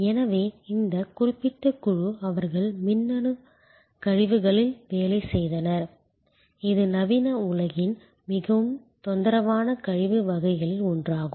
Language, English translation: Tamil, So, this particular group they worked on electronic waste, one of the most troublesome waste types of modern world